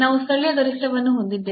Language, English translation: Kannada, So, this is a local minimum